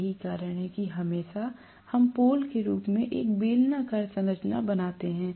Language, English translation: Hindi, That is the reason why invariably we may simply have a cylindrical structure as the pole